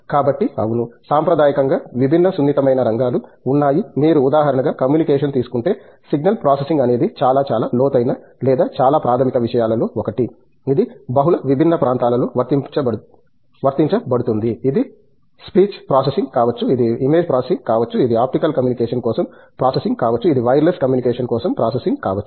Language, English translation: Telugu, So, yes, there are different traditionally sensitive areas, if you take about for example, Communication, single processing is one of the very, very profound or the very basic subject, which gets applied in multiple different areas, it could be speech processing, it could be image processing, it could be processing for optical communication, it could be a processing for wireless communication